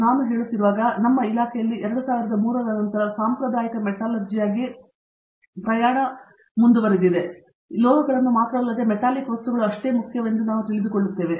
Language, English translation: Kannada, And when we say, as I was telling you we started the journey in our department as a traditional metallurgy and then around 2003, we realize that the non metallic materials are also equally important, not only the metals